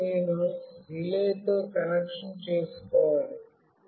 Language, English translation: Telugu, Now, finally I have to make a connection with the relay